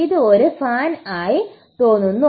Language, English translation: Malayalam, This looks like a fan